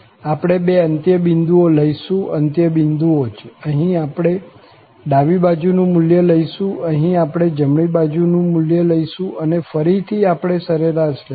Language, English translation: Gujarati, So, we will take the two end points, the limiting values obviously, here we will take the left hand values, here we will take the right hand values, and then again, we will take the average